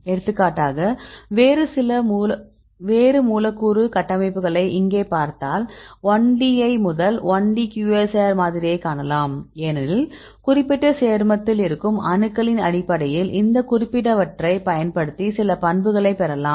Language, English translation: Tamil, So, for example, if you see a different molecular structures right here you can see this is the you can see the 1D right the first 1D QSAR model because we can get some properties using these specific compounds right based on the atoms present in the particular compound